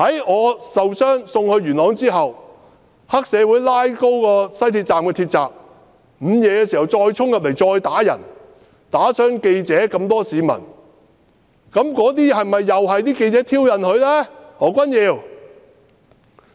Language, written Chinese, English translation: Cantonese, 我受傷被送離元朗後，黑社會在午夜時分拉起元朗站鐵閘，衝入站內打人，打傷記者和市民，何君堯議員，那些是否又是因為記者挑釁呢？, After I got injured and left Yuen Long triad members forced open the shutters of the Yuen Long Station around midnight and then rushed inside to beat reporters and civilians . Dr Junius HO were the attacks provoked by reporters?